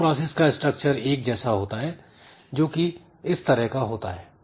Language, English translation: Hindi, Now, every process structure is like this